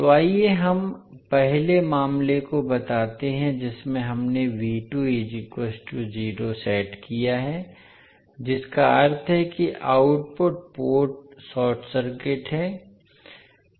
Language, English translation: Hindi, So, let us state first case in which we set V2 is equal to 0 that means the output port is short circuited